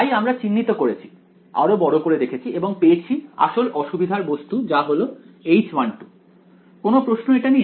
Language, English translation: Bengali, So, we have identified we are zoomed in zoomed in and found out that the main problematic character is this H 1 2 any questions about this